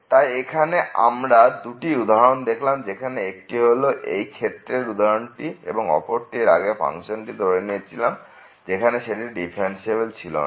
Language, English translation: Bengali, So, we have seen these two examples the other one was this one, the previous example where the function was not differentiable, this is also not differentiable